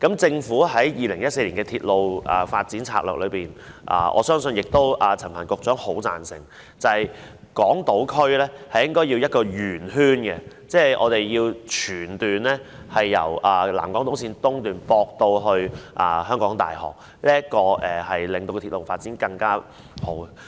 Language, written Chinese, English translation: Cantonese, 政府在2014年公布《鐵路發展策略》，我相信陳帆局長亦很贊成，港島區的鐵路線應該是一個圓形，即是全段鐵路應該由南港島綫東段接駁至香港大學，令鐵路發展更趨完善。, In respect of the Railway Development Strategy announced by the Government in 2014 I believe Secretary Frank CHAN will strongly agree that the railway line on Hong Kong Island should form a loop that is the whole section of the railway should be connected from the South Island Line East to the University of Hong Kong to render the railway development better complete